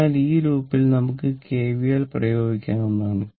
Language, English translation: Malayalam, So, here you apply KVL in this loop you apply KVL right